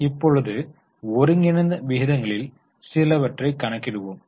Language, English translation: Tamil, Now let us calculate some of the combined ratios